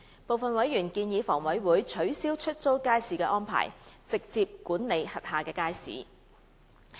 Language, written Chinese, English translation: Cantonese, 部分委員建議房委會取消出租街市安排，直接管理轄下街市。, Some members suggested that HA should abolish the letting arrangement and manage its markets directly